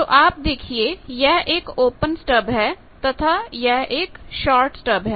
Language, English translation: Hindi, So, I can have an open stub or I can have a short stub